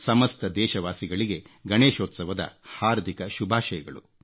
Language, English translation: Kannada, My heartiest greetings to all of you on the occasion of Ganeshotsav